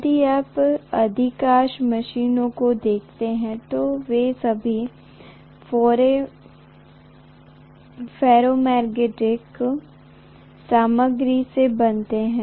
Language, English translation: Hindi, If you look at most of the machines, they are all made up of ferromagnetic material